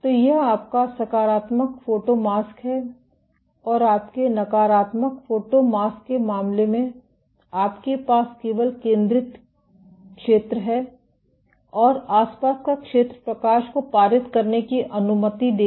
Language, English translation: Hindi, So, this is your positive photomask and in case of your negative photomask you only have the centered zone and the surroundings will allow light to pass